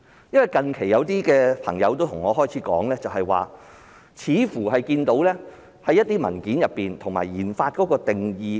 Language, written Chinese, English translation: Cantonese, 因為近期有些朋友對我說，似乎在一些文件中看到研發的定義。, According to some of my friends it seems that some documents have set out the definition of RD